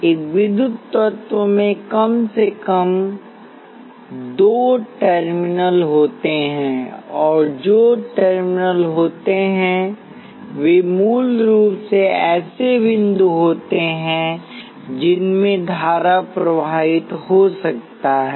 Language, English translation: Hindi, An electrical element has at least two terminals, and what are terminals basically they are points into which current can flow